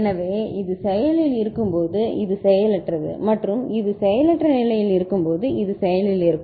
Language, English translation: Tamil, So, when this is active this is inactive and when this is inactive this is active